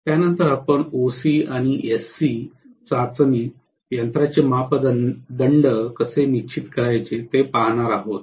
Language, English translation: Marathi, After this, we will be looking at OC and SC test, how to determine the parameters of the machine